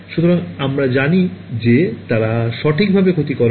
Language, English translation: Bengali, So, we know that they do not cause damage right